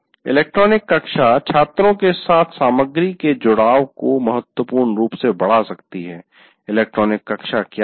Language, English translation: Hindi, Electronic classroom can significantly enhance the engagement of the students with the material